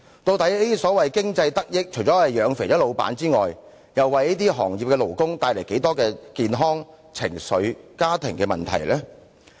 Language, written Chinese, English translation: Cantonese, 究竟所謂經濟得益，除了養胖了老闆外，為這些行業的勞工帶來多少健康、情緒和家庭問題呢？, Besides stuffing money into the fat purses of the bosses how many health emotional and family problems have these so - called economic benefits brought to the workers in these trades and industries?